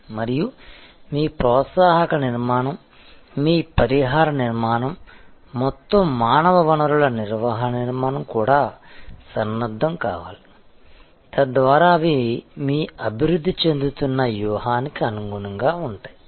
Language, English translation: Telugu, And your incentive structure, your compensation structure, the entire human resource management structure also must be geared up, so that they are in tune with your evolving strategy